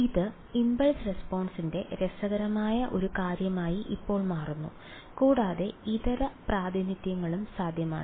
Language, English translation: Malayalam, So, now turns out this is an interesting thing about impulse responses and there are Alternate Representations also possible ok